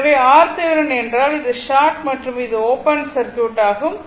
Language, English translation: Tamil, So, R Thevenin means, this is short and this will be open circuit